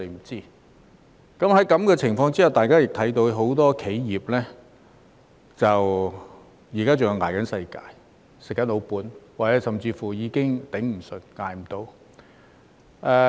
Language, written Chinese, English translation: Cantonese, 在這種情況下，大家也看到很多企業現時仍在"捱世界"、"吃老本"，甚或已經"捱不住"。, Under such circumstances we can see that many enterprises are still having a hard time living off their past gains or have already collapsed